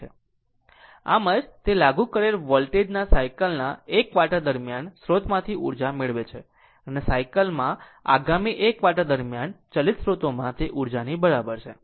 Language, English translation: Gujarati, So, that is why, it receives energy from the source during 1 quarter of a cycle of the applied voltage and returns exactly the same amount of energy to driving source during the next 1 quarter of the cycle right